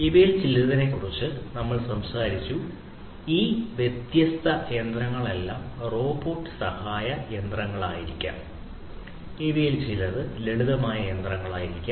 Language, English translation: Malayalam, All these different machines that we talked about some of these may be robot assisted machines; some of these could be simple machines